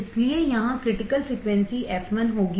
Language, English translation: Hindi, So, here the critical frequency would be f l